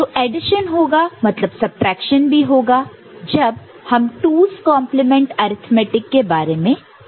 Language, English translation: Hindi, So, addition is done means subtraction is also done when we talk about 2’s complement arithmetic